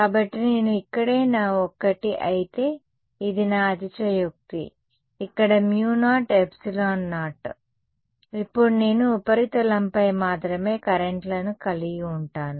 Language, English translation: Telugu, So, if I were to this was my one more here right this is my exaggerated of course, mu naught epsilon naught over here, now I am going to have only currents on the surface right